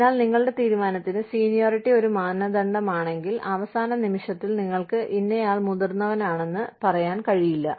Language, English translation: Malayalam, So, if seniority is a criterion for your decision, you cannot say that, so and so are senior, at the end minute